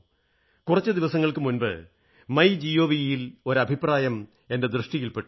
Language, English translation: Malayalam, I happened to glance at a comment on the MyGov portal a few days ago